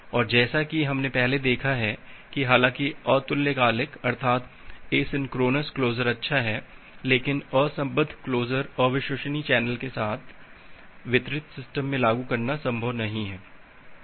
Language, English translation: Hindi, And as we have seen earlier that although asynchronous closure is good, but asynchronous closure is not possible to implement in a distributed system with unreliable channel